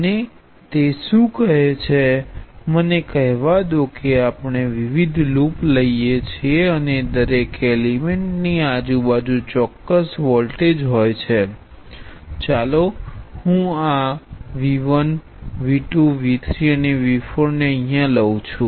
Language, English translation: Gujarati, And what it tells is that let say we take a loop of elements and each element has a certain voltage across it, and let me call this V 1, V 2, V 3 and V 4